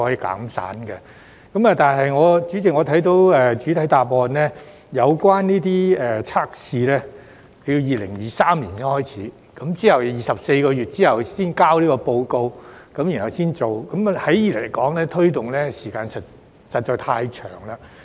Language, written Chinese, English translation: Cantonese, 但是，我從主體答覆察悉，有關測試於2023年才展開，並在24個月試驗期後才提交報告，然後才可推行，時間實在太長。, However I learned from the main reply that the trial will only commence in 2023 and following the 24 - month trial an assessment report will be submitted before implementation . The lead time is too long indeed